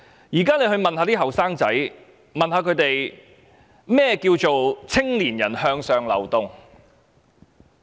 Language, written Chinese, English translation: Cantonese, 現時問問青年人，甚麼叫"青年人向上流動"？, We may now ask young people What is meant by upward mobility of young people?